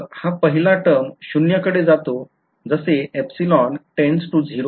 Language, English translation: Marathi, So, this first term over here is tends to 0 as epsilon tends to 0 fine